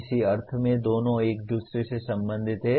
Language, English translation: Hindi, In some sense both are related to each other